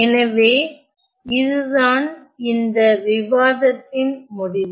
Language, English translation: Tamil, So, that is the end of this discussion